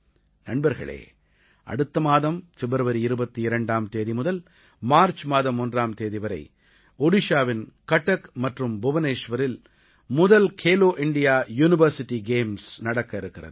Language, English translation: Tamil, Friends, next month, the first edition of 'Khelo India University Games' is being organized in Cuttack and Bhubaneswar, Odisha from 22nd February to 1st March